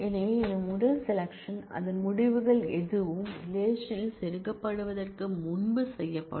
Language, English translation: Tamil, So, this first select from will be done before any of its results are inserted in the relation